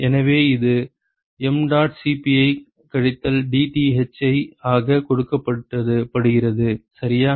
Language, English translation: Tamil, So, that is given by minus mdot Cp into dTh ok